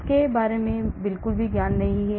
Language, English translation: Hindi, I have absolutely no knowledge about it